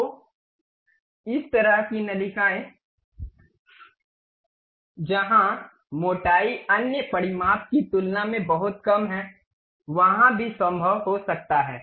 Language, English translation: Hindi, So, this kind of ducts where the thickness is very small compared to other dimensions can also be possible